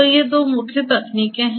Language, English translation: Hindi, So, these are the two main techniques